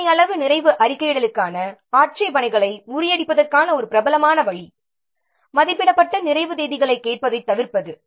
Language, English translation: Tamil, One popular way of overcoming the objections to partial completion reporting is to avoid asking for the estimated completion dates